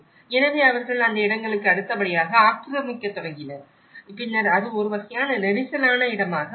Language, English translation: Tamil, So, they started occupying next to that places and then that is how it becomes a kind of crowded space